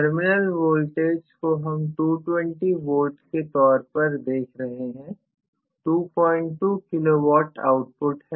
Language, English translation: Hindi, So, we are looking at the terminal voltage as 220 V, 2